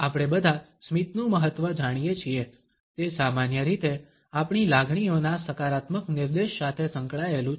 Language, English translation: Gujarati, All of us know the significance of smiles, it is associated with positive indications of our emotions normally